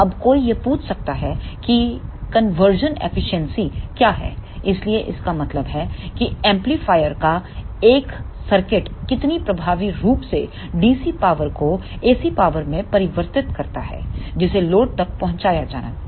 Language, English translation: Hindi, Now, one may ask that what is the conversion efficiency so that means, that how effectively one circuit of amplifier converts the DC power into the AC power which is to be delivered to the load